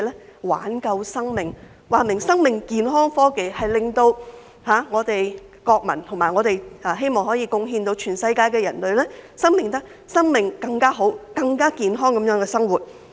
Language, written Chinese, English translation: Cantonese, 是為了挽救生命，說明是生命健康科技，應令我們的國民......以及我們希望可以貢獻全世界的人類，生命能更好、更健康地生活。, To save lives . Life and health technology as suggested by its name should make our people and we hope to benefit humankind worldwide so that people can lead a better and healthier life